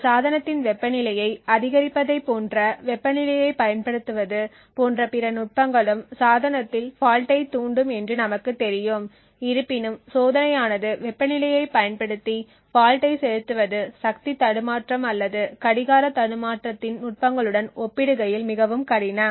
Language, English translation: Tamil, There are other techniques which also have been experimented with such as the use of temperature increasing the temperature of a device as we know would cost induce faults in the device however as the experiment show injecting faults using temperature is more difficult to achieve compare to the other techniques of power glitching or clock glitching